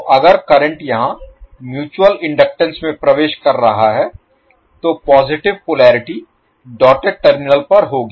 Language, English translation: Hindi, So if the current is entering here in mutual inductance will have the positive polarity in the doted side of the terminal